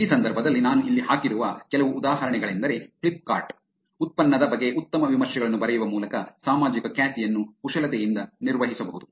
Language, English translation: Kannada, In this case, some examples that I had put in here is Flipkart, social reputation can be manipulated by actually writing good reviews about product